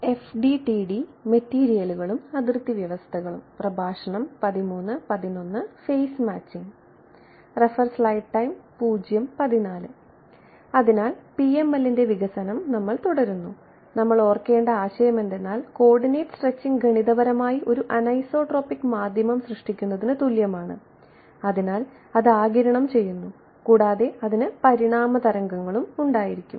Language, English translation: Malayalam, So, we continue with our development of the PML, and the concept that we have to keep in mind is that coordinate stretching is mathematically the same as generating a anisotropic medium therefore, it absorbs right it has evanescent waves ok